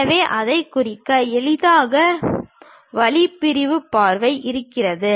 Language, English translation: Tamil, So, to represent that, the easiest way is representing the sectional view